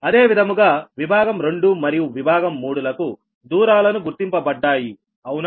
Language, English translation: Telugu, similarly, for section two and section three, all the distances are marked